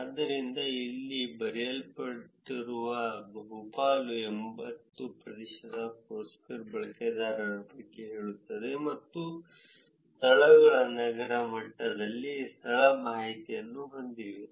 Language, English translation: Kannada, So, that is what is written here this says about vast majority 80 percent of Foursquare users and venues have location information at the city level